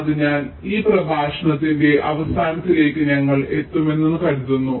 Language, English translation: Malayalam, so i think with this we come to the end of this lecture